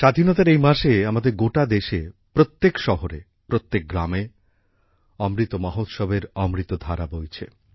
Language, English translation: Bengali, In this month of independence, in our entire country, in every city, every village, the nectar of Amrit Mahotsav is flowing